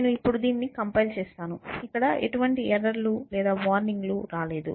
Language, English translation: Telugu, So, I will compile it now, it gives me no errors or no warnings